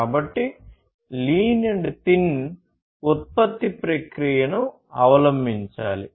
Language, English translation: Telugu, So, lean and thin production process should be adopted